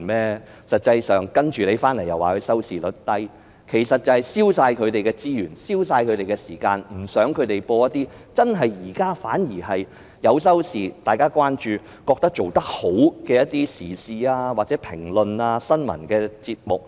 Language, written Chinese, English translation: Cantonese, 然後又說港台的收視率低，其實只是要消除港台的所有資源和時間，不想港台播放一些現在收視理想、大家關注並且認為做得好的時事評論和新聞節目而已。, They then assert that the audience ratings of RTHK are low but in fact they just want to cut all the resources of RTHK and its air time . They simply do not want RTHK to broadcast some existing programmes of commentary on current affairs and news with satisfactory audience ratings which have received much attention and are regarded as a job well done